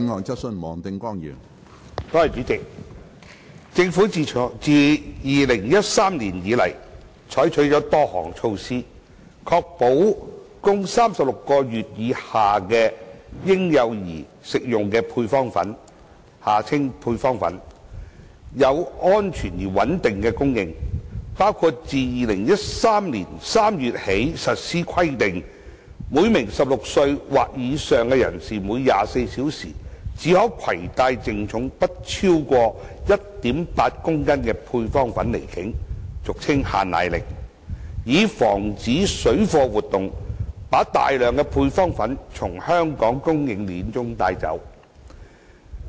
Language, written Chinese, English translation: Cantonese, 主席，政府自2013年以來採取了多項措施，確保供36個月以下嬰幼兒食用的配方粉有安全而穩定的供應，包括自2013年3月起實施規定，每名16歲或以上人士每24小時計只可攜帶淨重不超過 1.8 公斤配方粉離境，以防止水貨活動把大量配方粉從香港供應鏈中帶走。, President since 2013 the Government has adopted a number of measures to ensure a safe and stable supply of powdered formula for infants and young children under the age of 36 months . Such measures include the requirement enforced since March 2013 that each person aged 16 or above may only carry on hisher departure from Hong Kong within a 24 - hour period powdered formula of a total net weight of no more than 1.8 kilograms in order to prevent parallel trading activities from diverting large quantities of powdered formula away from the supply chain in Hong Kong